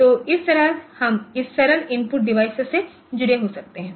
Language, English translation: Hindi, So, this way we can have this simple input device connected